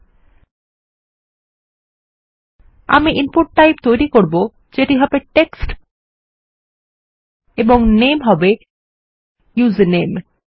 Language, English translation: Bengali, Ill start creating our input type which will be text and the name will be username